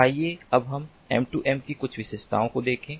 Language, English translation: Hindi, let us now look at some of the features of m two m